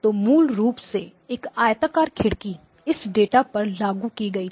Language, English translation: Hindi, So basically a rectangular window was applied to this data